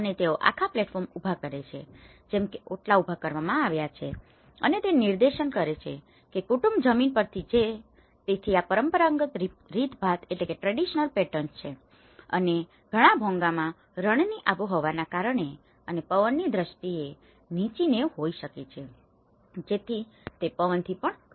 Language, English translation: Gujarati, And they raise the whole platform as the otla has been raised and that demarcates that family belonging from the ground and this is how the traditional patterns and in many of the Bhongas we have the low eaves you know because of the desert climate and also the windy aspects of it, so it can protect from the wind as well